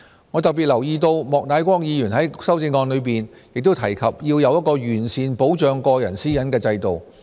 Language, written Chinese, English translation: Cantonese, 我特別留意到莫乃光議員在修正案中亦提及要有一個完善保障個人私隱的制度。, I have particularly noted that Mr Charles Peter MOK mentioned in his amendment that there should be an improved regime for personal data and privacy protection